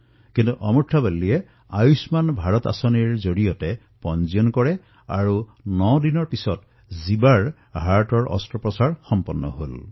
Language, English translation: Assamese, However, Amurtha Valli registered her son in the 'Ayushman Bharat' scheme, and nine days later son Jeeva had heart surgery performed on him